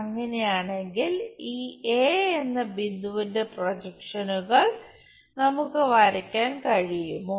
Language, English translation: Malayalam, If that is the case can we draw projections of this point A